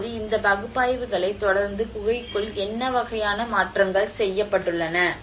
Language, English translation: Tamil, Now, inside the caves following all these analysis what kind of modifications has been done